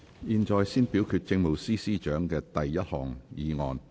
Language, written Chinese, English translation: Cantonese, 現在先表決政務司司長的第一項議案。, This Council now first votes on the Chief Secretary for Administrations first motion